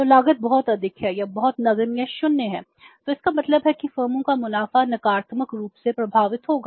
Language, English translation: Hindi, So, cost is very high, return is either very negligible or nil so it means firms profits will be affected negatively